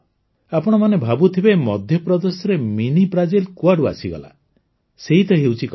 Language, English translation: Odia, You must be thinking that from where Mini Brazil came in Madhya Pradesh, well, that is the twist